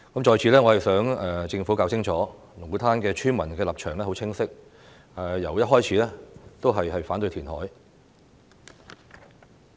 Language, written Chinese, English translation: Cantonese, 在此，我想政府弄清楚，龍鼓灘村民的立場很清晰，由一開始都是反對填海。, Here I hope the Government will understand that villagers of Lung Kwu Tan have clearly stated their opposition against the reclamation from the outset